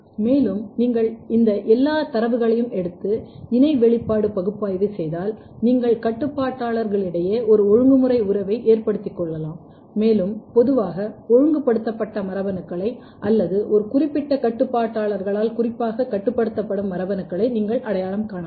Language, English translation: Tamil, And, then if you can take all these data and if you can do the co expression analysis, basically you can establish a regulatory relationship among the regulators and you can identify the genes which are commonly regulated or the genes which are specifically regulated by a particular regulators